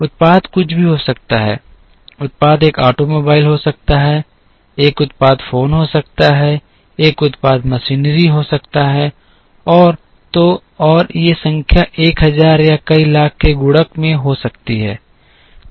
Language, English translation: Hindi, The product could be anything, the product could be an automobile, a product could be phones, a product could be machinery and so on and these numbers could be in multiples of 1000 or multiples of lakhs and so on